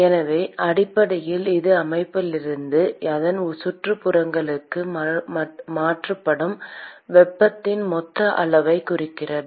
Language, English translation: Tamil, So, essentially it boils down the total amount of heat that is transferred from the system to its surroundings